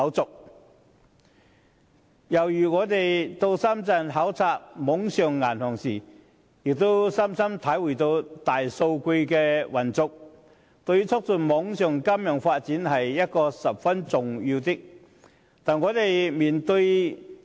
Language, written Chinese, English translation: Cantonese, 再舉一個例子，我們到深圳考察網上銀行，深深體會到大數據的運用，對促進網上金融發展十分重要。, Let me give another example . During our visit to Shenzhen to observe online banking we deeply appreciated the importance of the use of big data to the promotion of financial development on the Internet